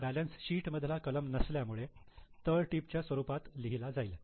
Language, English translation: Marathi, This is not a balance sheet item, it just comes as a footnote